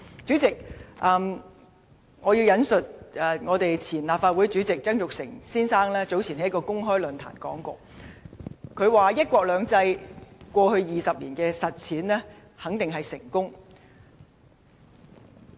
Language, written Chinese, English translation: Cantonese, 主席，我要引述前立法會主席曾鈺成先生早前在一個公開論壇的說話，他說"一國兩制"過去20年的實踐肯定是成功的。, President let me quote from the comments made by Mr Jasper TSANG the former President of the Legislative Council at an open forum earlier . He said The implementation of one country two systems has definitely been successful over the past two decades